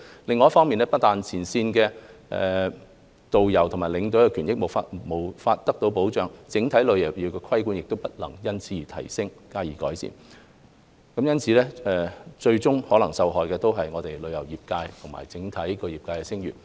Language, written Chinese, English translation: Cantonese, 另一方面，不但前線導遊和領隊的權益無法得到保障，整體旅遊業的規管也不能因此而提升，加以改善，最終受害的是我們旅遊業界，以及整體業界的聲譽。, On the other hand frontline tourist guides and tour escorts cannot have any protection for their interests while the overall regulation of the travel trade cannot be enhanced or improved . Ultimately our travel trade and its overall reputation will suffer